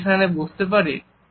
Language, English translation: Bengali, Why do not you sit there